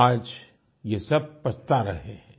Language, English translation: Hindi, all of them are regretting now